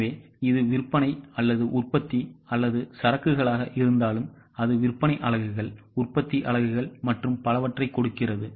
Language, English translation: Tamil, So, whether it is sales or production or inventories, it gives the units of sales, units of production, and so on